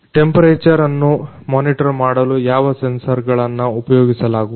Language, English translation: Kannada, Which sensors are used for temperature monitoring